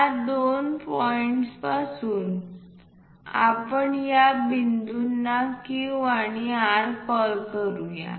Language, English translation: Marathi, From these two points let us call these points Q, this is R let us call R and this point as Q